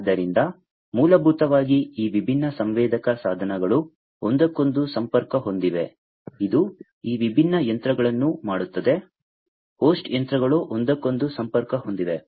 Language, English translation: Kannada, So, basically these different sensor devices are connected to one another, which in turn makes these different machines, the host machines connected to one another